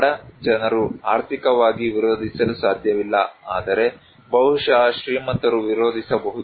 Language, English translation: Kannada, Like poor people, they cannot resist financially, but maybe rich people can resist